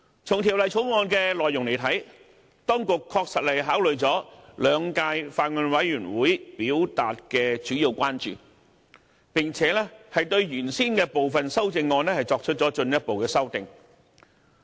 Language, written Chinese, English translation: Cantonese, 從《條例草案》的內容來看，當局確實考慮了兩屆法案委員會表達的主要關注，並且對原先的部分修正案作出了進一步修正。, From the contents of the Bill it is well evident that the authorities have considered the main concerns of the Bills Committees of the two terms and made further amendments to the original CSAs